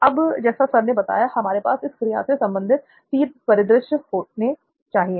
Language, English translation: Hindi, So now like sir mentioned we have to have three different scenarios related to that activity